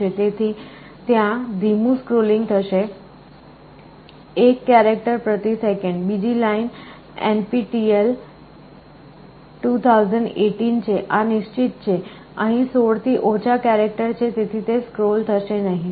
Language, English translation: Gujarati, So, there will there will be slow scrolling, 1 character per second, second line NPTEL 2018, this is fixed, less than 16 this will not scroll